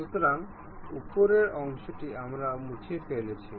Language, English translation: Bengali, So, the top portion we have removed